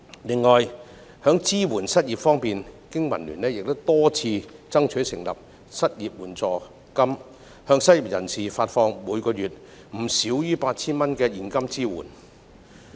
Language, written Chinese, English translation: Cantonese, 此外，在支援失業人士方面，經民聯多次爭取成立失業援助金，向失業人士每月發放不少於 8,000 元的現金支援。, In addition regarding support for the unemployed BPA has repeatedly strived for establishing unemployment assistance to provide a monthly subsidy of not less than 8,000 in cash to each unemployed person